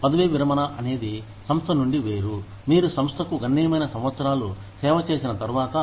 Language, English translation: Telugu, Retirement is separation from the organization, after you have served the organization, for a significant number of years